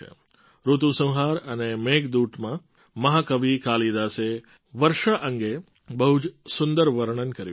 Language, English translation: Gujarati, In 'Ritusanhar' and 'Meghdoot', the great poet Kalidas has beautifully described the rains